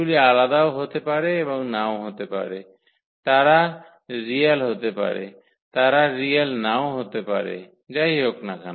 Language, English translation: Bengali, They may be distinct and they may not be distinct, they may be real, they may not be real so whatever